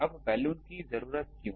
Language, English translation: Hindi, Now why the need Balun